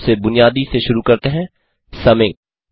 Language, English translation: Hindi, We will start with the most basic, summing